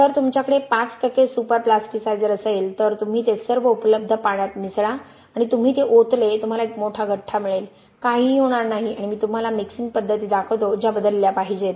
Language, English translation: Marathi, If you have 5 percent of super plasticizer you mix it with all the available water and you pour it in, you are going to get one large clump nothing is going to happen and I will show you mixing methods that need to be changed if you want to design such mixtures